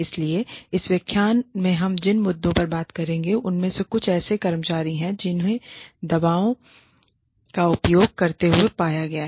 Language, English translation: Hindi, So, some of the issues, that we will be covering in this lecture are, one is employees, that have been found to have, been using drugs